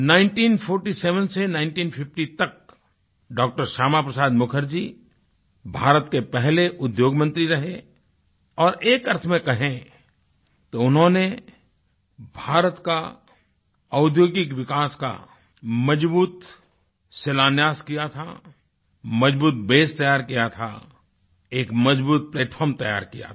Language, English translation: Hindi, Shyama Prasad Mukherjee was the first Industries minister of India and, in a sense, helaid a strong foundation for India's industrial development, he had prepared a solid base, it was he who had prepared a stout platform